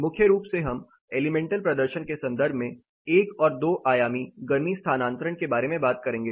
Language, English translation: Hindi, Primarily we will talk about 1 and 2 dimensional heat transfer in terms of elemental performance